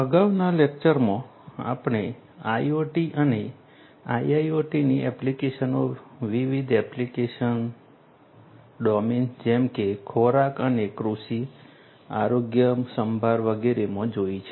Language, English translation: Gujarati, In the previous lectures, we have seen the applications of IoT and IIoT in different application domains such as food and agriculture, healthcare and so on